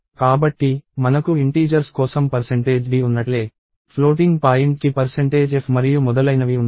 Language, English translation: Telugu, So, just like we have percentage d for integers, percentage f for floating point and so, on